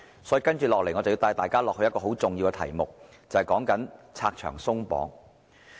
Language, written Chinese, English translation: Cantonese, 所以，我接下來帶大家進入一個十分重要的題目，便是拆牆鬆綁。, For this reason I would like to lead Members to a very important subject namely the abolition of various regulations and restrictions